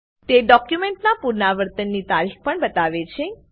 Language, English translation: Gujarati, It also shows the Revision date of the document